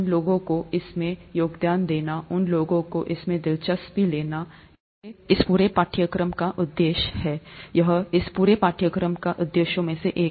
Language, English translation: Hindi, Getting those people to contribute to this, getting those people interested in this, is the purpose of this whole course, or one of the purposes of this whole course